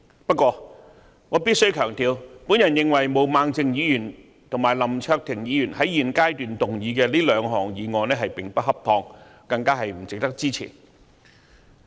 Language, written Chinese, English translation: Cantonese, 不過，我必須強調，我認為毛孟靜議員及林卓廷議員在現階段動議這兩項議案並不恰當，更不值得支持。, However I must stress that I consider it inappropriate of Ms Claudia MO and Mr LAM Cheuk - ting to move these two motions at this stage still less are they worthy of our support